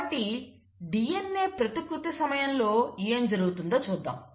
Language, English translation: Telugu, So let us look at what happens during DNA replication